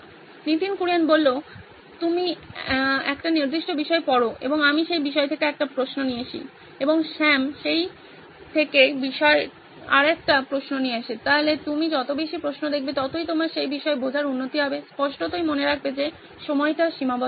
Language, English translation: Bengali, In terms of you read a certain topic and I come up with a question from that topic and Sam comes up with another question from that same topic, so the more kind of questions that you are seeing, the better your understanding of the topic, obviously keeping in mind the fact that the time would be a constraint